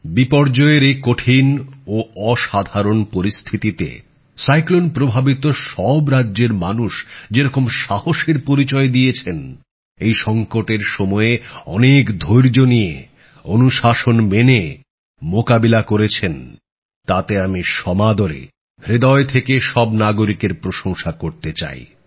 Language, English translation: Bengali, Under these trying and extraordinary calamitous circumstances, people of all these cyclone affected States have displayed courage…they've faced this moment of crisis with immense patience and discipline